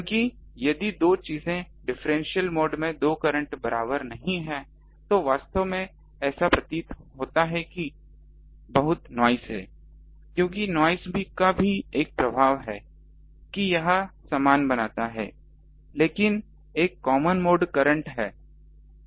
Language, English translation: Hindi, Because the if the two things are not equal two currents in differential mode then actually it appears that there are lot of noise because noise also have the same effect that it makes the equal ah, but a common mode currents